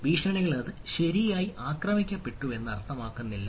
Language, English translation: Malayalam, right, so threats does not mean it is attacked